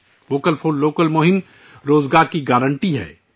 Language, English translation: Urdu, The Vocal For Local campaign is a guarantee of employment